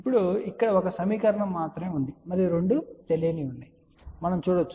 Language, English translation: Telugu, Now, you can see over here that there is only one equation ok and there are two unknowns